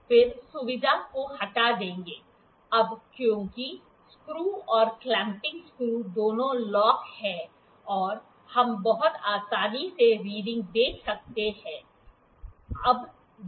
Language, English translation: Hindi, Then will remove the feature, now because both the screws both the clamping screws are locked we can very conveniently see the readings